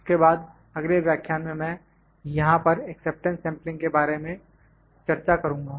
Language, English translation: Hindi, Then in the next lecture I will discuss about the acceptance sampling here